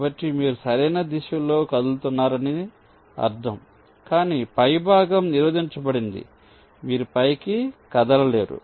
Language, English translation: Telugu, so it means you are moving in the right direction but the top is blocked